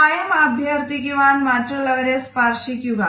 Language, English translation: Malayalam, Try touching someone when requesting assistance